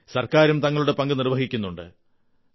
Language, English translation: Malayalam, The government is also playing its role